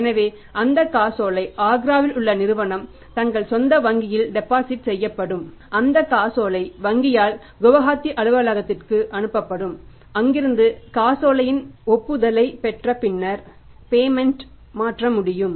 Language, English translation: Tamil, So that check when will be deposited by the company in Agra in their own bank that check will be sent by the bank to the Gauhati office and from there the concurrence of the check has to be obtained and then only the payment can be transferred